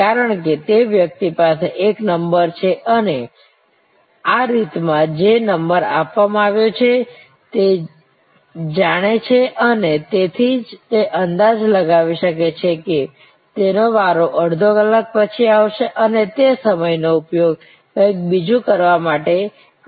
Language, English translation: Gujarati, Because, that person has a number and knows the number being served at this movement and therefore, can estimate that his turn will come half an hour later and can utilizes the time to do something else